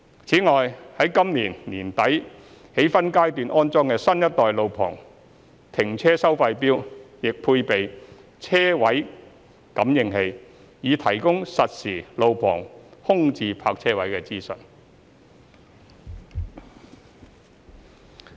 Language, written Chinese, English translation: Cantonese, 此外，於今年年底起分階段安裝的新一代路旁停車收費錶亦配備車位感應器，以提供實時路旁空置泊車位資訊。, Moreover the new generation of on - street parking meters to be installed in phases starting from the end of this year will be equipped with vehicle sensors to provide real - time information on on - street vacant parking spaces